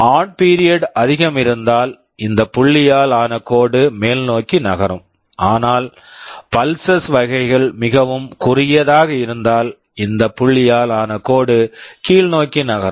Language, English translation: Tamil, More the on period this dotted line will be moving up, but if the pulses are very narrow then this dotted line will move down